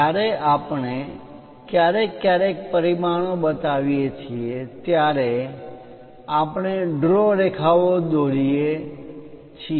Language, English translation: Gujarati, When we are showing dimensions occasionally, we write draw lines